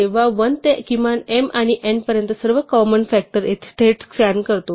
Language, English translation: Marathi, We directly scan all the possible common factors from 1 to the minimum of m and n